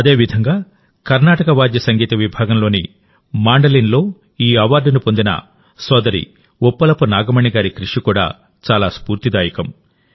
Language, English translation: Telugu, Similarly, the efforts of sister Uppalpu Nagmani ji are also very inspiring, who has been awarded in the category of Carnatic Instrumental on the Mandolin